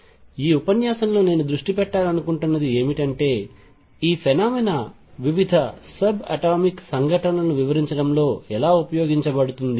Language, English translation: Telugu, What I want to focus on in this lecture is how this phenomena is used in explaining different subatomic events